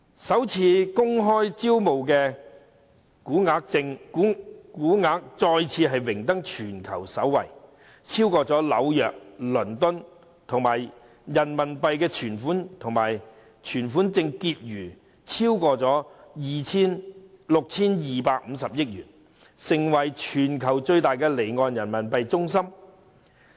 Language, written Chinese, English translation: Cantonese, 首次公開招股金額再次榮登全球首位，超過紐約和倫敦，而人民幣存款證結餘亦超過 6,250 億元，成為全球最大的離岸人民幣中心。, Overtaking New York and London Hong Kong also regains its pole position for initial public offering . Hong Kong is also the worlds largest offshore Renminbi RMB centre with the total value of outstanding RMB certificates of deposit being over RMB625 billion